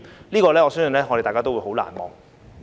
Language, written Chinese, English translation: Cantonese, 對此，我相信大家都很難忘。, I believe this is very unforgettable for all of us